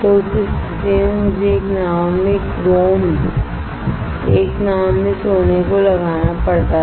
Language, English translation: Hindi, So, in that case I had to have chrome in one boat gold in one boat